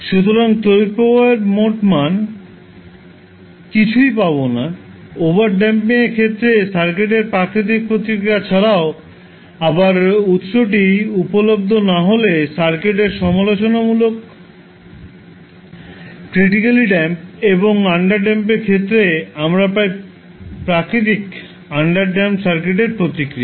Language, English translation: Bengali, So you will get the total value of current i t is nothing but I s plus natural response of the circuit in case of overdamped, again I s plus critically damped response of the circuit when source is not available and plus in case of underdamped we get I s plus the natural response of underdamped circuit